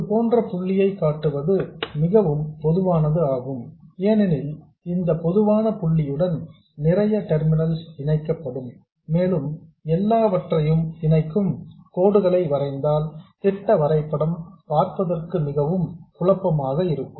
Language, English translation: Tamil, It's very common to show points like this because lots of terminals will be connected to this common point and the schematic diagram will look very messy if we draw lines connecting everything